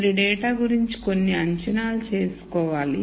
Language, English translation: Telugu, You have to make some assumptions about the data